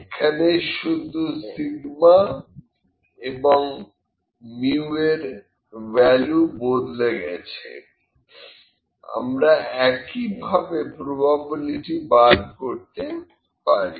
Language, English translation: Bengali, We just only the value of mu and sigma are changed and we can find the probability in a similar fashion